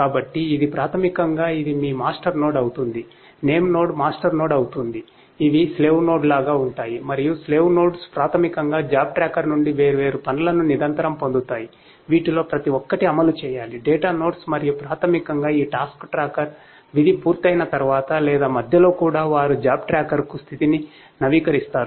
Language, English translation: Telugu, So, this is basically this becomes your master node, the name node becomes a master node, these are like the slave nodes and slave nodes are basically continuously being they basically give the different tasks from the job tracker which will have to be executed at each of these different data nodes and basically these task tracker after completion of the task or in between also they would be updating the status to the job tracker